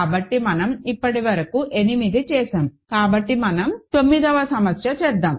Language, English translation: Telugu, So, we have done so far 8; so, let us do 9